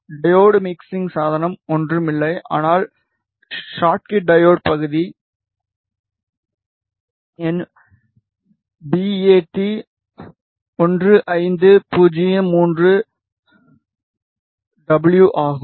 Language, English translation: Tamil, The mixing device which is the diode is nothing, but a Schottky diode the part number is bat 15 03 W